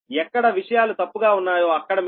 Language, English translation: Telugu, wherever things will be wrong, whatever is there, you will take right